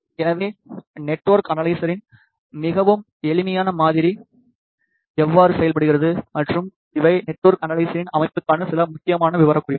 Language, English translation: Tamil, So, this is how a very simplified model of network analyzer works and these are some important specifications for a network analyzer system